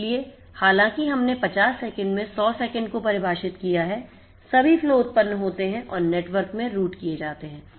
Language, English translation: Hindi, So, although we have defined 100 seconds within 50 seconds all flows are generated and routed in the network